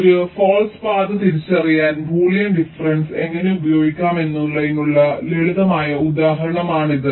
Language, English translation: Malayalam, ok, this is a simple example how boolean difference can be used to identify a false path